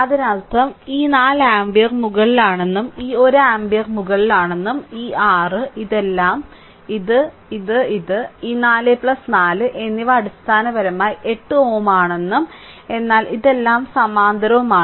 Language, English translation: Malayalam, The that means, if you look into that this 4 ampere is upward and this 1 ampere is also upward, and this your what you call this all this things this one, this one, this one and this 4 plus 4, it is basically 8 ohm, but all this things are in parallel